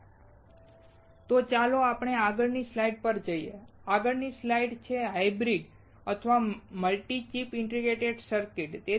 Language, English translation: Gujarati, So, let us go to the next slide the next slide is hybrid or multi chip integrated circuits